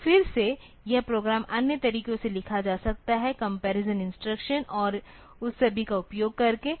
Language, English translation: Hindi, So, again this program I could have written in other ways, also using comparison instructions and all that